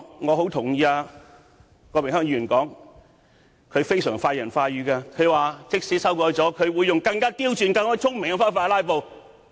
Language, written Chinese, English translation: Cantonese, 我很認同郭榮鏗議員的說法，他非常快人快語，說在修訂《議事規則》後，他便會用更刁鑽、更聰明的方法"拉布"。, I strongly concur with what Mr Dennis KWOK has said . He was really straightforward when he said that he would use even more sophisticated and smarter ways to filibuster after the amendments to RoP have been passed